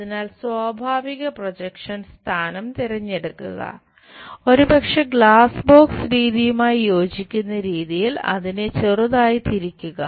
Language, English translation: Malayalam, So, pick the natural projection position perhaps slightly turn it in such a way that align with glass box method